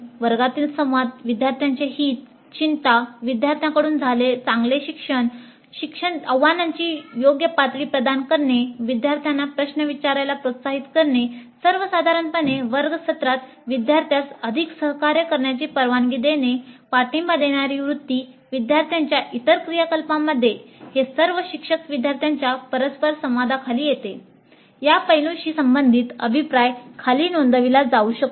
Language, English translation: Marathi, The classroom communication, concern for the well being of the students, good learning by the students, providing right levels of challenges, encouraging the students to ask questions, in general permitting greater interaction during the classroom sessions, supportive attitude to the students, supportive attitude to other activities of the students, all these come under teacher student interaction